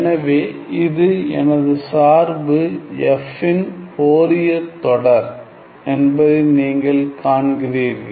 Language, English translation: Tamil, So, you see that this is my Fourier series of the function f and I call these as my Fourier coefficients